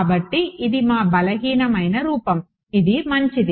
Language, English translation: Telugu, So, this is our weak form this is this is fine